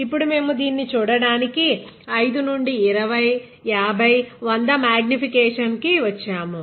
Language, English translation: Telugu, Now, we have come down 5 x, 20 x, 50 x to 100 x magnification to look at this